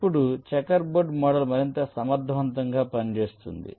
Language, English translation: Telugu, ok now, checker board mod model is more area efficient